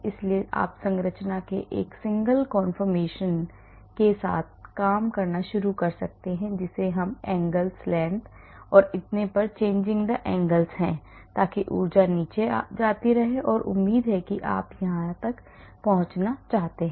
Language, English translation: Hindi, So, you may start with a single conformation of the structure we keep changing the angles, the lengths and so on so that the energy keeps going down and hopefully you want to reach here